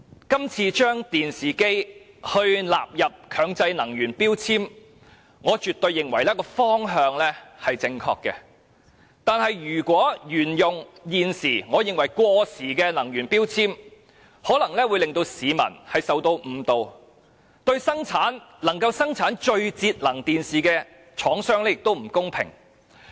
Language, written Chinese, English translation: Cantonese, 今次把電視機納入強制性能源效益標籤計劃，我絕對認為方向正確，但如果沿用現時我認為過時的能源標籤，不單有可能誤導市民，亦會對生產最節能電視機的廠商不公平。, Regarding the current proposal to include televisions in the Mandatory Energy Efficiency Labelling Scheme MEELS I definitely consider it a correct direction . However if the current energy labels that I find outdated are still in use members of the public may be misled and manufacturers of the most energy - saving televisions may be unfairly treated